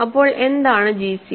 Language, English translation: Malayalam, So, what is gcd